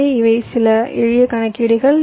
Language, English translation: Tamil, so these are some simple calculations